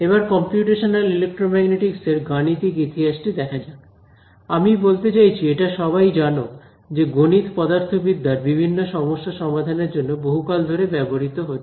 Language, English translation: Bengali, So, coming to the mathematical history of the field of computational electromagnetic; so I mean it is hardly necessary to say that, math has been used for solving physics problems for a long time